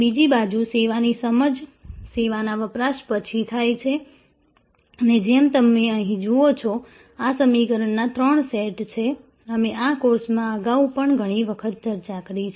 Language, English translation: Gujarati, On the other hand, the service perception happens after the service consumption and as you see here, these are the three sets of equations; we have discussed number of times earlier also in this course